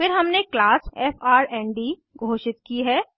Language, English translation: Hindi, Then we have declared a class frnd